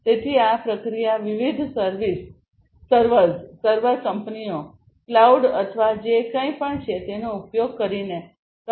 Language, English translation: Gujarati, So, this processing will be done using different servers, server firms, cloud or, whatever